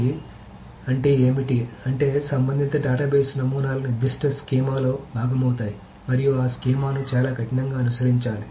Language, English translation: Telugu, So flexibility, what does the flexibility mean is that the relational data based models pertain to a particular schema and that schema must be very rigidly followed